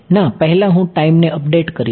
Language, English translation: Gujarati, No before I do a time update